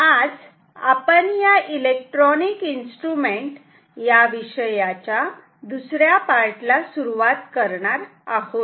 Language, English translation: Marathi, Today we are going to start our second part in this course which is on Electronic Instruments